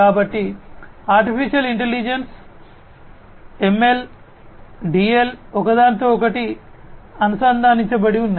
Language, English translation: Telugu, So, Artificial Intelligence, ML, DL, etcetera, these are linked to each other